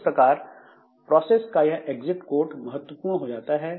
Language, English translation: Hindi, So, this exit the exit code of the process becomes important